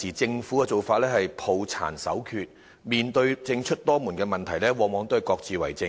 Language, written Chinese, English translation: Cantonese, 政府現時的做法是抱殘守缺，面對政出多門的問題，往往各自為政。, The Governments present approach is too conservative and there is often a lack of coordination among government departments